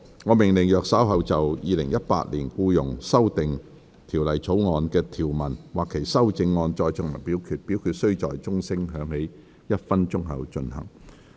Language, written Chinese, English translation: Cantonese, 我命令若稍後就《2018年僱傭條例草案》的條文或其修正案再進行點名表決，表決須在鐘聲響起1分鐘後進行。, I order that in the event of further divisions being claimed in respect of any provisions of or any amendments to the Employment Amendment Bill 2018 this committee of the whole Council do proceed to each of such divisions immediately after the division bell has been rung for one minute